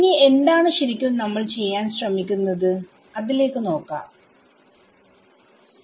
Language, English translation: Malayalam, Now look at let us get back to what we are trying to do stability criteria right